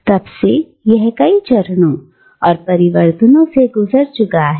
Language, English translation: Hindi, And since then it has passed through many phases and transformations